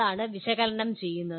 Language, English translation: Malayalam, That is what strictly analyze is